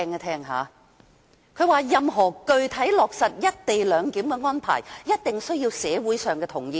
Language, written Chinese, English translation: Cantonese, 他說道："任何具體落實一地兩檢的安排，一定需要得到社會上同意。, He said The community must give consent before any co - location arrangement can be implemented in concrete terms